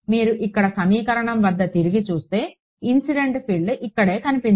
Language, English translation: Telugu, If you look back over here at are equation, the incident field appeared over here right